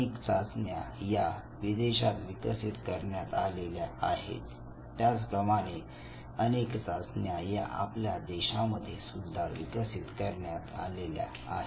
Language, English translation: Marathi, There are several test which have developed abroad, there are test even develop within the country